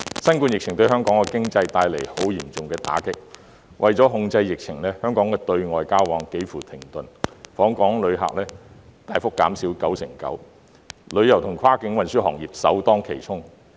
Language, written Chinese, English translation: Cantonese, 新冠疫情對香港經濟帶來相當嚴重的打擊；為了控制疫情，香港的對外交往幾乎停頓，訪港旅客數目大幅減少 99%， 旅遊與跨境運輸行業首當其衝。, The COVID - 19 epidemic has dealt a severe blow to Hong Kongs economy . To control the epidemic travel between Hong Kong and the outside world has almost come to a halt . The number of visitors to Hong Kong has substantially reduced by 99 %